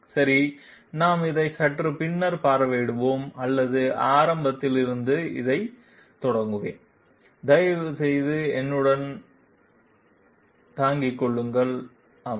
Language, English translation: Tamil, Okay, we will visit this slightly later or shall I start this from the beginning, please bear with me, yeah